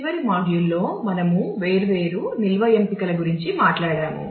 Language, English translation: Telugu, In the last module we have talked about different storage options